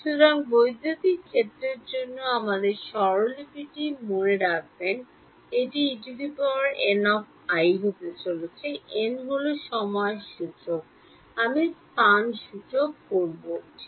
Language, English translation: Bengali, So, remember our notation for electric field, it is going to be E n i; n is the time index, i is the space index ok